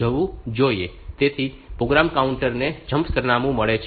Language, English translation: Gujarati, So, that the program counter gets the jump address